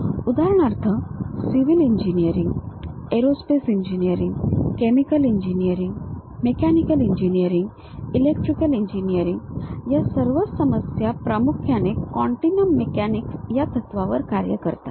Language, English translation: Marathi, For example: all these civil engineering problem, aerospace engineering problem, chemical engineering, mechanical, electrical engineering; they mainly work on continuum mechanics principles